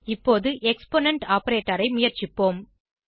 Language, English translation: Tamil, Now lets try the exponent operator